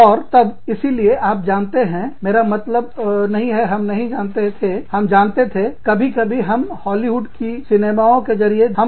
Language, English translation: Hindi, And then, so you know, it was not, i mean, we did not know, we knew, sometimes, we would see through, Hollywood Movies